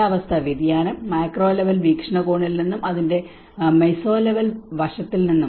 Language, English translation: Malayalam, Also the climate change both from a macro level point of view and the meso level aspect of it